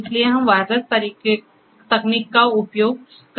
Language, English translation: Hindi, So, what we can use is we can use wireless technology